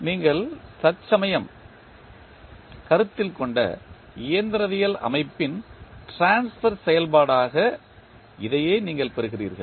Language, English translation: Tamil, So, this is what you get the transfer function of the mechanical system which you just considered